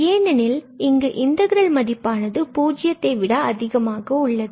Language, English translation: Tamil, In that case, this is the integral will be greater than equal to 0 for sure